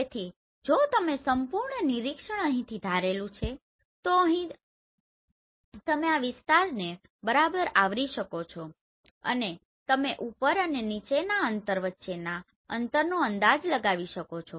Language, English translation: Gujarati, So if you have this complete observation assuming from here, here and here you can fully cover this area right and you can estimate the distances these top and distance between bottom